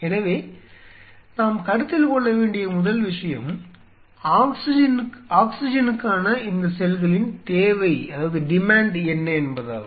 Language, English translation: Tamil, So, first thing which has to be considered; what is the demand of the cell of these cells for oxygen